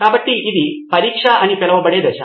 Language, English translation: Telugu, So this is the stage called Test